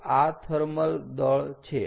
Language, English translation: Gujarati, ok, so this is the thermal mass